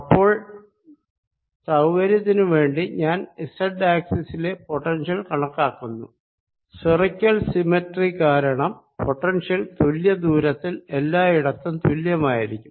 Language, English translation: Malayalam, so for convenience i take calculate the potential alo[ng] on the z axis, although because of the spherical symmetry the potential is going to be same all around at the same distance